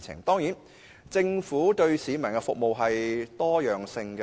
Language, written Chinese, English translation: Cantonese, 當然，政府為市民提供的服務是多樣化的。, Of course the Government provides diversified services to the people